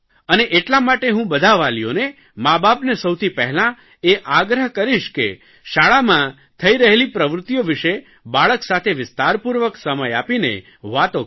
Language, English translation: Gujarati, So I would appeal to all guardians and parents to give not just enough time and attention to their children but also to everything that's happenings in their school